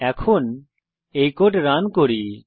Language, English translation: Bengali, Lets now Run this code